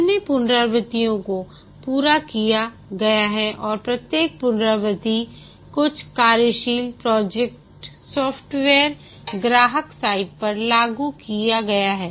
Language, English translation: Hindi, How many iterations have been completed and each iteration some working software is deployed at the customer site